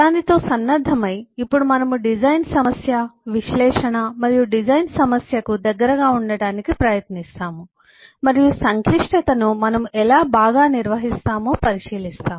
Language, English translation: Telugu, now we try to get closer to the design problem, the analysis and design problem, and look into how we handle the complexity uh better